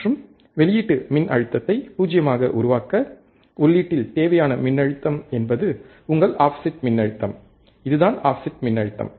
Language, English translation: Tamil, And the voltage required at the input to make output voltage 0 is your offset voltage, this is what offset voltage means